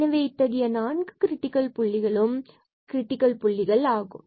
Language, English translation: Tamil, So, all these 4 points are there which are the critical points